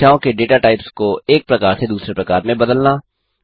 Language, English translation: Hindi, Convert data types of numbers from one type to another